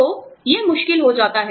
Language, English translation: Hindi, So, that becomes difficult